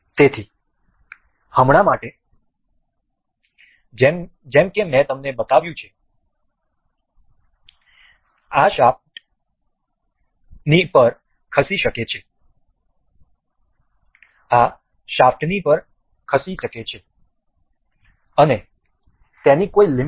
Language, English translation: Gujarati, So, for now as I have shown you that this is movable to along the shaft and it does not have any limit